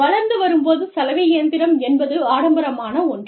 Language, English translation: Tamil, Now, washing machine, when we were growing up, it was a luxury